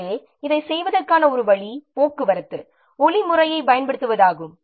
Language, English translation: Tamil, So, one way of doing this is by using a traffic like method